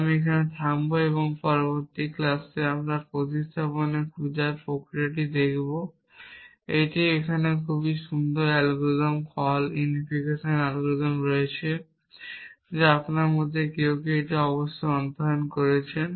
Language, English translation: Bengali, So, I will stop here and in the next class we will look at this process of finding the substitution here and there is a very nice algorithm call unification algorithm which some of you must have studied for doing so